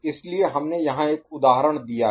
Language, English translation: Hindi, So, we have given an example here